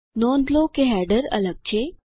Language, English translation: Gujarati, Notice that the header is different